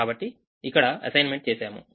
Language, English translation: Telugu, so we make this assignment